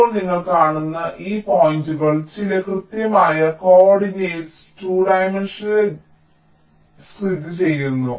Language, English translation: Malayalam, now you see, these points will be located on the two dimensional grid in some exact co ordinates so we can also define some weights